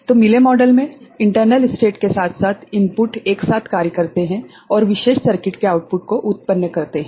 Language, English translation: Hindi, So, in Mealy model the internal states as well as input together act and generate the output of the particular circuit